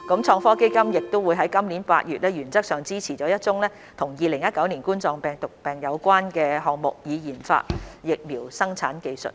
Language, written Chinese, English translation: Cantonese, 創科基金亦在今年8月原則上支持了一宗與2019冠狀病毒病有關的項目，以研發疫苗生產技術。, In August this year ITF also supported in - principle a COVID - 19 related project on the development of technology for vaccine production